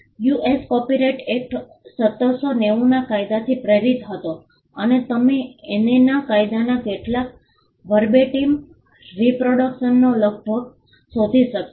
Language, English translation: Gujarati, The US Copyright Act of 1790 was inspired by the statute of Anne and you can almost find some Verbatim reproduction of the statute of Anne